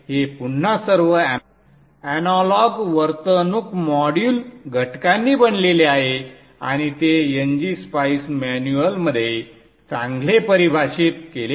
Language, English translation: Marathi, This is again composed of all analog behavioral modeling elements and these are well defined in NG Spice manual